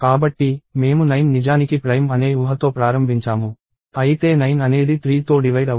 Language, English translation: Telugu, So, I started with the assumption that 9 is actually prime, however 9 was divisible by 3